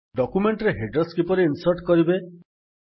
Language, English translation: Odia, How to insert headers in documents